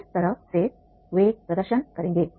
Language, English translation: Hindi, That is how they will demonstrate